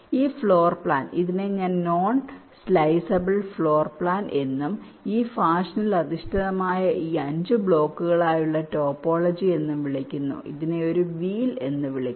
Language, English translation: Malayalam, this is something which is called a non sliceable floor plan and a topology like this, five blocks which are oriented in this fashion